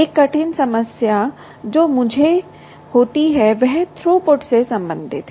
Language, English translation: Hindi, one hard problem that occurs to me is related to throughput